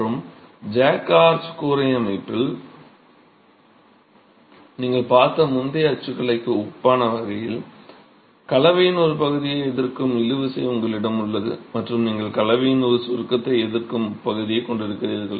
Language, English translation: Tamil, And in a jack arch roof system, in a way analogous to the previous typology that you have seen, you have a tension resisting part of the composition and you have a compression resisting part of the composition